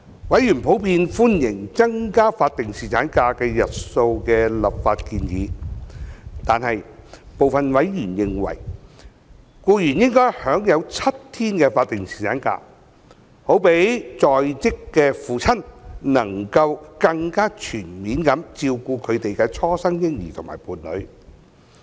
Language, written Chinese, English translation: Cantonese, 委員普遍歡迎增加法定侍產假日數的立法建議，但部分委員認為，僱員應享有7天法定侍產假，好讓在職父親能夠更加全面照顧他們的初生嬰兒及伴侶。, Members of the Bills Committee generally welcome the legislative proposal to extend the duration of statutory paternity leave . Some members however are of the view that male employees should be entitled to a seven - day statutory paternity leave so that working fathers can more comprehensively take care of their new born baby and their partner